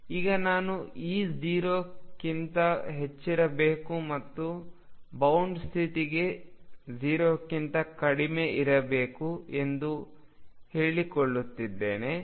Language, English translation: Kannada, Now I am claiming that E should be greater than 0 and it is less than 0 for bound state